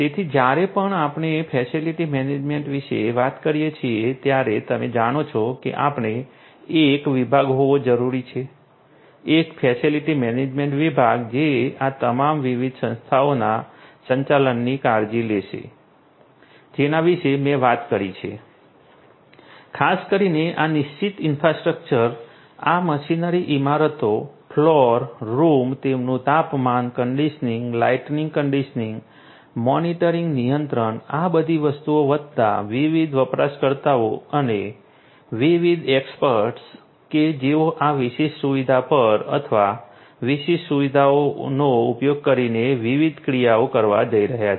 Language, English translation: Gujarati, So, whenever we are talking about facility management you know we need to have a department a facility management department which will take care of the management of all of these different entities that I have talked about, particularly this fixed infrastructure, these machinery, the buildings, the floors, the rooms, they are temperature conditioning, the lighting conditioning, monitoring control all of these things plus the different users and the different actors who are going to perform different actions on this particular facility or using this particular facility